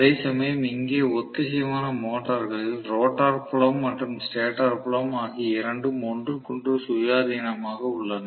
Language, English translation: Tamil, Whereas here in synchronous motor the rotor and the stator field both of them are independent of each other